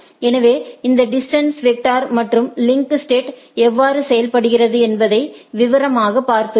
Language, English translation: Tamil, So, what we I have seen that the broad way of how this distance vector and link state works